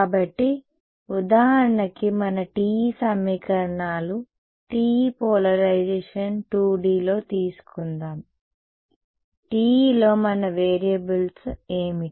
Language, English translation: Telugu, So, if let us take for example, our TE equations TE polarization in 2D what were our variables in TE